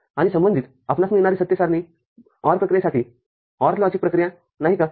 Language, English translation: Marathi, And corresponding the truth table that we get is that of OR operation OR logic operation